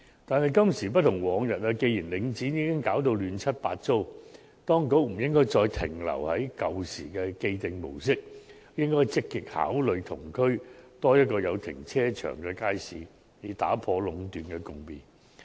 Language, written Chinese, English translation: Cantonese, 但是，今時不同往日，既然領展已搞到亂七八糟，當局不應再停留於舊時的既定模式，而應積極考慮在同區興建多一個有停車場的街市，以打破壟斷的局面。, In view of the mess created by Link REIT the authorities should no longer stick to that approach established in the past but should actively consider building one more market with a car park in each of the districts concerned so as to put an end to the monopolistic situation